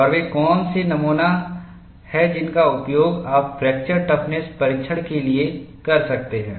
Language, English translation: Hindi, And what are the specimens that you could use for fracture toughness test